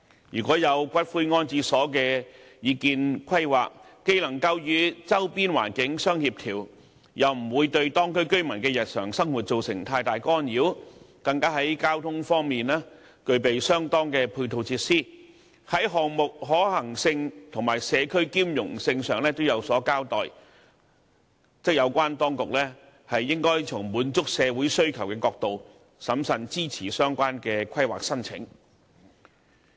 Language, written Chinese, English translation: Cantonese, 如果有骨灰安置所的擬議規劃既能夠與周邊環境相協調，又不會對當區居民的日常生活造成太大干擾，更在交通方面具備相當的配套設施，在項目可行性及社區兼容性上也有所交代，有關當局則應從滿足社會需求的角度，審慎支持相關規劃申請。, If a proposed plan to build a columbarium is compatible with the surroundings; will not cause too much interference with the daily lives of the local residents; will be supported by adequate ancillary transport facilities; and is justified in terms of project feasibility and compatibility with the community the authorities should consider the planning application from the perspective of meeting the social needs and render prudent support